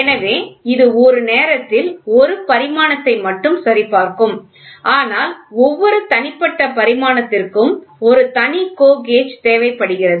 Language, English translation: Tamil, So, it should check not one dimension at a time thus a separate GO gauge is required for each individual dimension